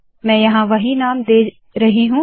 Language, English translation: Hindi, I am giving the same name over here